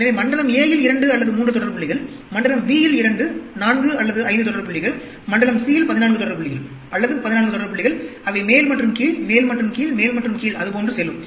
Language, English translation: Tamil, So, 2 or 3 consecutive points in zone a, 2, 4 or 5 consecutive points in zone b, 14 consecutive points in zone c, or 14 consecutive points that go up and down, up and down, up and down, like that